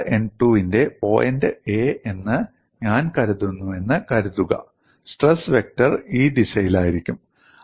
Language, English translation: Malayalam, Suppose I consider point A belonging to surface n 2, the stress vector would be on this direction